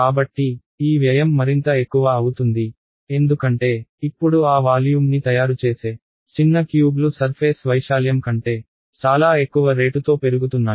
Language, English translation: Telugu, So, this the cost of doing this is going to become more and more, because now a little cubes that make up that volume are increasing at a much higher rate than the surface area right